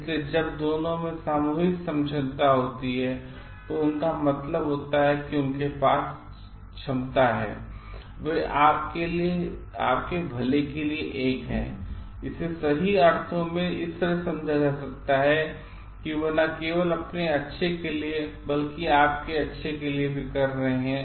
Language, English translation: Hindi, So, when both the things are their competence means they have their competent and they have a concern for you, so in the sense like they are doing not only for their own good, but also for your good